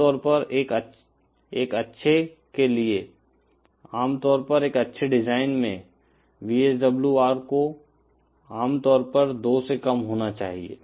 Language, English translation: Hindi, Usually for a good, usually in a good design practice, VSWR should be usually lesser than 2